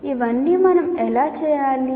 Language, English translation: Telugu, How do we do all this